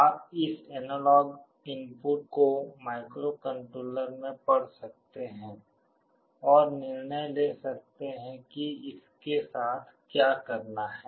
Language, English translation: Hindi, You can read this analog input in the microcontroller and take a decision what to do with that